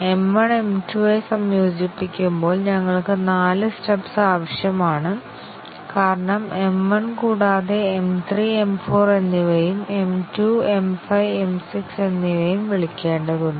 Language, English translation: Malayalam, So, in this situation when we integrate M 1 with M 2, we need four stubs, because M 1 also needs to call M 3 and M 4, and M 2 needs to call M 5 and M 6